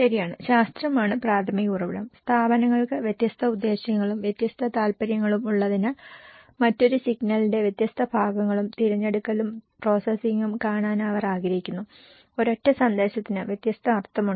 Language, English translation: Malayalam, Right, so and the primary source the science, since institutions have different purposes, different interest, they will also like to see the different parts and selection and processing of one single signal, one single message have different meaning